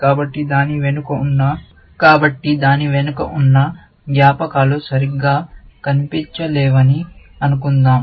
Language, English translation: Telugu, So, let us assume that memories, behind it, and we cannot see properly